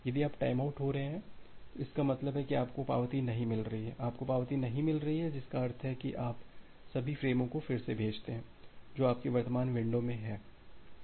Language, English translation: Hindi, If you are having a timeout; that means, you have not received an acknowledgement and you are not receiving an acknowledgement means you retransmit all the frames, which are there in your window your current window